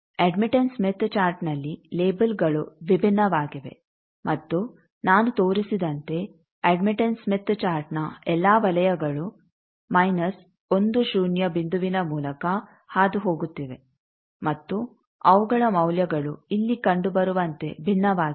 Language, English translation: Kannada, On admittance smith chart the labels are different, and the admittance smith chart as I shown they are all the circles are passing through minus one zero point and they are values are different as can be seen here